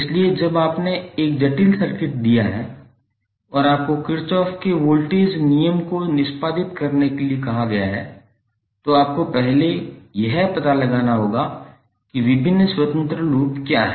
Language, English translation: Hindi, So when you have given a complex circuit and you are asked to execute the Kirchhoff’s voltage law, then you have to first find out what are the various independent loop